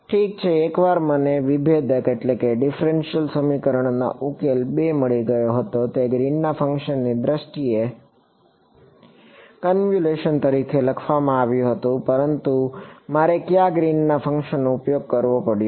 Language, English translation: Gujarati, Well once I got the differential equation and the solution 2 it was written in terms of Green’s function as a convolution, but which Green’s function did I have to use